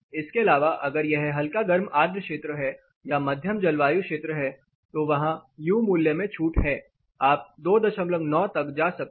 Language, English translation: Hindi, Apart from this if it is warm humid zone or a moderated zone there is there is relaxation U value you can go as high as 2